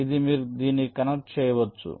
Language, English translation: Telugu, this has to be connected to a